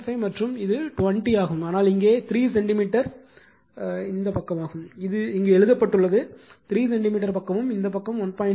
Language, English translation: Tamil, 5 and this is 20, but see here what we call it is your 3 centimeter side it is written here, 3 centimeter side with this side 1